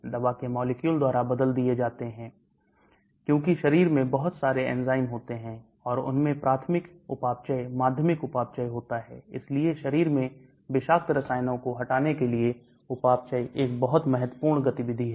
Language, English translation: Hindi, Drug molecules are transformed by enzymes, because body contains a lot of enzymes, and they have primary metabolism, secondary metabolism, so the metabolism is a very important activity in the body to remove toxic chemicals